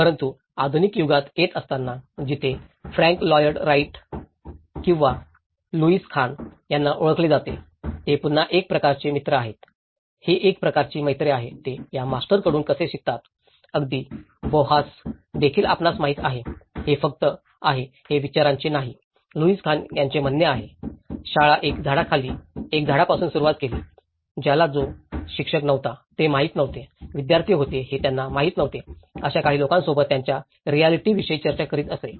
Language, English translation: Marathi, But coming into the modern era where the Frank Lloyd Wright or Louis Khan, you know people that is again, itís a kind of a friendship, how they learn from these masters, learning from masters, even Bauhaus you know, that has that is just not a school of thought, itís a vision and right so, thatís what Louis Khan states; schools began with a tree with a man under a tree, who did not know he was a teacher, discussing his realizations with a few who did not know they were students